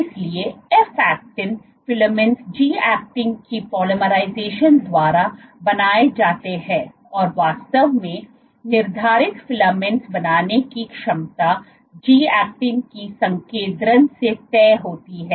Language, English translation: Hindi, So, F actin filaments are formed by polymerization of G actin and the ability to form filaments actually determined is dictated by the concentration of G actin